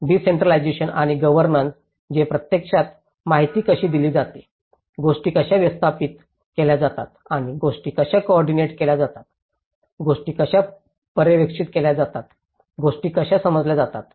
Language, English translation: Marathi, Decentralization and the governance, which actually, how the information is passed out, how things are managed and how things are coordinated, how things are supervised, how things are perceived